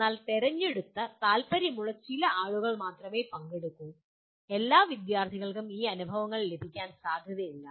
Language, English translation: Malayalam, But only a selected, some interested people only will participate where all students are not likely to get these experiences